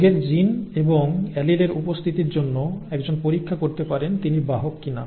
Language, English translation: Bengali, One can get tested for the presence of disease genes and alleles whether you are a a carrier or not